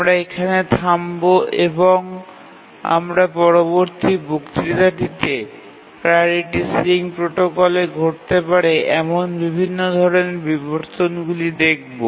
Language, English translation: Bengali, We will stop here and we'll look at the other types of inversions that can occur in the priority ceiling protocol in the next lecture